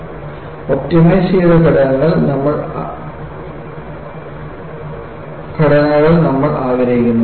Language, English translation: Malayalam, So, we want to have optimized structures